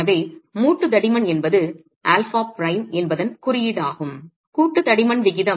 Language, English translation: Tamil, So the joint thicknesses are what alpha prime is standing for, the ratio of the joint thicknesses